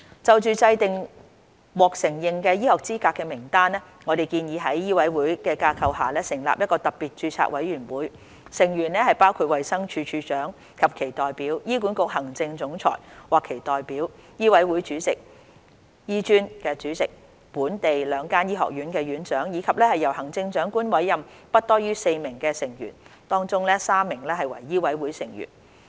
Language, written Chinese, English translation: Cantonese, 就制訂獲承認醫學資格的名單，我們建議在醫委會的架構下成立一個特別註冊委員會，成員包括衞生署署長或其代表、醫管局行政總裁或其代表、醫委會主席、醫專主席、本地兩間醫學院院長，以及由行政長官委任的不多於4名成員，當中3名為醫委會成員。, For the purpose of determining a list of recognized medical qualifications we propose establishing a Special Registration Committee SRC under MCHK comprising Director of Health DoH or hisher representative Chief Executive of HA or hisher representative Chairman of MCHK President of HKAM Deans of the two local Faculties of Medicine not more than four persons three of whom must be members of MCHK to be appointed by the Chief Executive